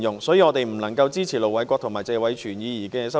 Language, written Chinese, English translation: Cantonese, 所以，我們不能支持盧偉國議員和謝偉銓議員的修正案。, For this reason we cannot support the amendments of Ir Dr LO Wai - kwok and Mr Tony TSE